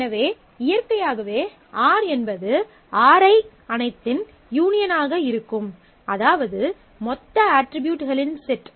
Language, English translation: Tamil, So, naturally R will be the union of all of these, Ri the total set of attributes